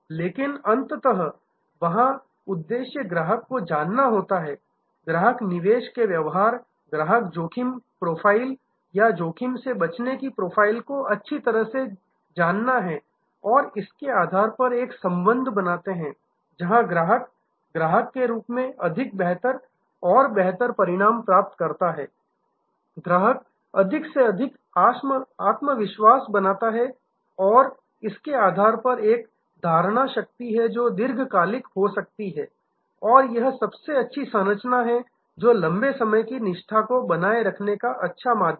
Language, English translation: Hindi, But, ultimately there the objective is to know the customer, the customer investment appetite, the customers risk profile or risk aversion profile well and based on that create a relationship, where the customer as the customer gets more better and better result, customer builds more and more confidence and based on that there is a retention that becomes a long term and this is the kind of best structure, best way to create long time loyalty